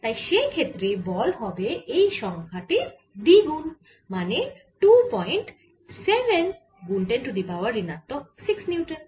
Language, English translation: Bengali, so force in that case is going to be two times this number, which is two point seven, zero times ten raise to minus six newtons